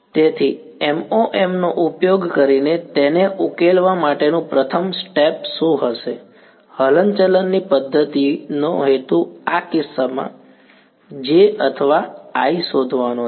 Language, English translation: Gujarati, So, what would be the first step over to solve it using MoM; the Method of Movements objective is to find J or I in this case